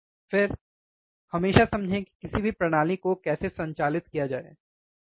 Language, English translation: Hindi, Again, always understand how to operate any system, right